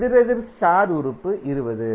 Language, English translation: Tamil, Opposite star element is 20